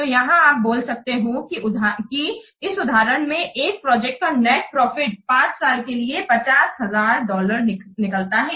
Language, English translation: Hindi, So, here you can see easily that the net profit for this example project for 5 years is coming to be $50,000